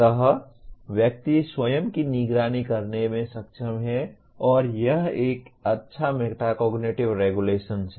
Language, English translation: Hindi, So one is able to monitor one’s own self and that is a good metacognitive regulation